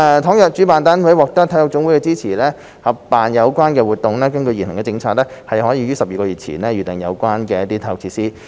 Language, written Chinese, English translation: Cantonese, 倘若主辦單位獲得體育總會的支持合辦有關活動，根據現行的政策，可於12個月前預訂有關的體育設施。, If the organizer secures the support of NSAs in co - organizing the relevant activities it may reserve related sports facilities up to 12 months in advance under the current policy